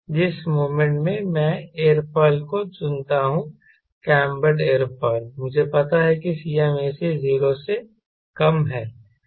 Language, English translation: Hindi, the moment i select an aerofoil, cambered aerofoil, i know cmac is less than zero